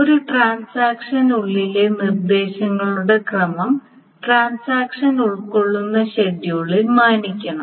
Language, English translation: Malayalam, So the order of instructions within a transaction must be respected in the schedule that contains the transaction